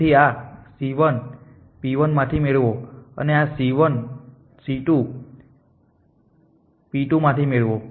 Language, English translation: Gujarati, So, this c 1 gets this from p 1 an c 2 gets this from p 2